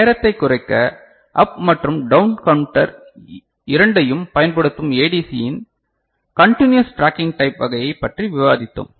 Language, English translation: Tamil, And to reduce the time, we discussed continuous tracking type of ADC, using both up counter and down counter